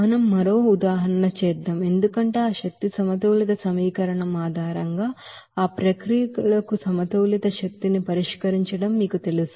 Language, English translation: Telugu, Now, let us do another example, for you know solving the energy of balance for that processes based on that energy balance equation